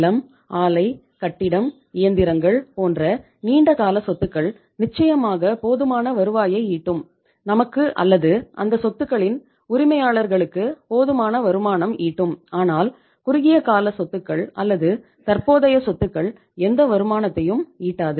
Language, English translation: Tamil, Here when you talk about the long term assets, land, plant, building, machinery there are certainly going to generate a sufficient revenue, sufficient income for us or the owners of those assets but as with the short term assets are concerned current assets are concerned they donít generate any income